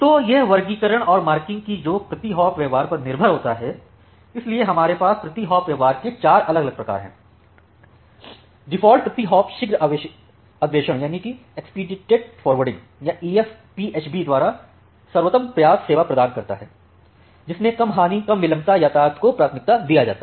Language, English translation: Hindi, So, this classification and marking, they are the per hop behaviours; so, we have four different type of per hop behaviours, the default per hop is to provide best effort service by expedited forwarding or EF PHB to which is to give priority to the low loss low latency traffic